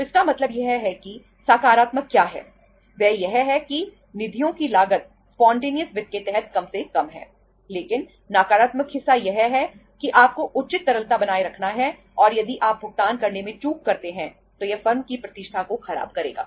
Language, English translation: Hindi, So it means what is the positive, that the cost of the funds is least under the spontaneous finance but the negative part is that you have to maintain the proper liquidity and if you default in making the payment it will spoil the reputation of the firm